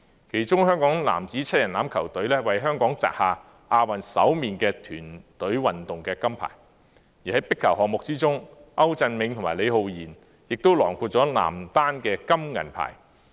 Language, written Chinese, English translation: Cantonese, 其中香港男子7人欖球隊為香港擲下亞運首面團隊運動金牌，而在壁球項目之中，歐鎮銘和李浩賢亦囊括男單金銀牌。, Among them was the first - ever Asian Games gold medal in team sports that the Hong Kong rugby sevens mens team had won . In squash events Leo AU Chun - ming and Max LEE Ho - yin bagged the gold and silver medals in the mens singles